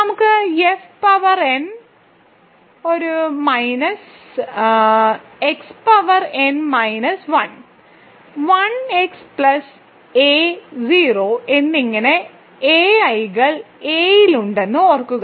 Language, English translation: Malayalam, So, suppose we have f as X power n, a n minus 1 X power n minus 1, a 1 X plus a 0 and remember ai’s are in L